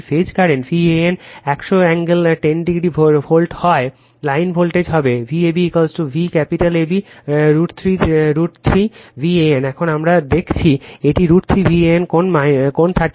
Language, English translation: Bengali, If the phase voltage V an is 100 angle 10 degree volt right, in the line voltage will be V ab is equal to V capital AB root 3 V an just now we have seen it is root 3 V an angle 30 degree